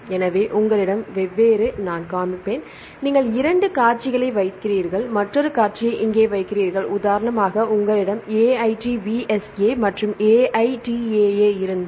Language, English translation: Tamil, So, I will show if you have different sequences for the different sequence for example, you put two sequences and you put another sequence here for example if you have this one AITVSA and AITAA